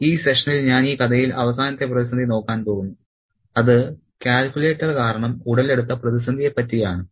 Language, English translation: Malayalam, So, in this session I am going to look at the final crisis in the story, which is brought about by this aspect of the calculator, this newfangled material of the calculator